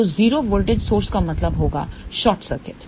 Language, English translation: Hindi, So, 0 voltage source would mean short circuit